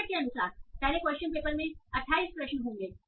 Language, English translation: Hindi, So as per the format, there will be first there will be there will be 28 questions in the question paper